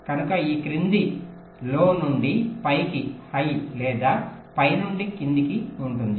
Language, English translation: Telugu, ok, so it can be either low to high or high to low